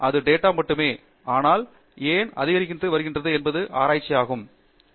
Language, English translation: Tamil, So, that is just data, but why it is increasing is what research is all about